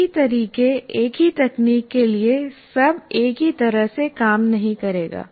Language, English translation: Hindi, So same methods, same techniques will not work the same way for all